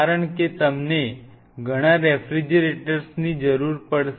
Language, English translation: Gujarati, Because you will be needing multiple refrigerators